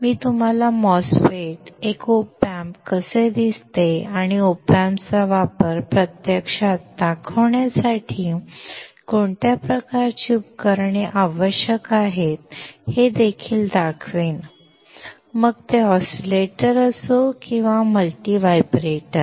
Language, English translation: Marathi, I will also show you how a MOSFET, an op amp looks like, and what kind of equipment do we require to actually demonstrate the use of the op amp; whether it is an oscillator or a multi vibrator